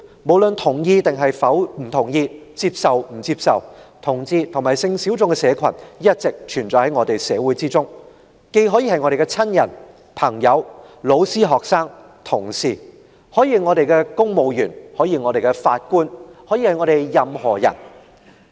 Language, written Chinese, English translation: Cantonese, 無論我們同意與否，接受與否，同志及性小眾的社群一直存在於我們的社會中，他們既可能是我們的親人、朋友、老師、學生、同事，也可能是公務員、法官或任何人。, Whether we agree toaccept this or not homosexual people and sexual minorities do exist in society . They may be among our relatives friends teachers students colleagues or they could be civil servants judges or whoever else